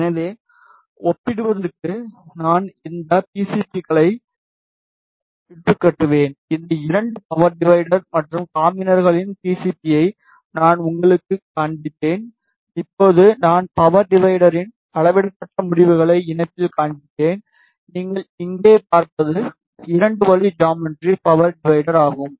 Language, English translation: Tamil, So, just to compare I have just fabricated these PCBs I showed you the PCB of these 2 power divider and combiners, now I will just show you the measured results of power divider in combiner you see here in this this is the geometry of 2 way power divider